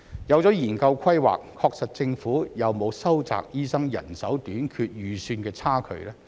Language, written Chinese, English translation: Cantonese, 有了研究規劃，確實政府有沒有收窄醫生人手短缺預算的差距？, Given the study on manpower planning has the Government actually narrowed the shortfall in doctor manpower?